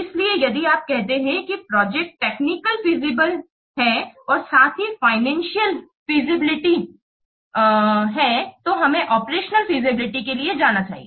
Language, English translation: Hindi, So, if you see that the project is technical feasible as well as financial feasible then we should go for the operational feasibility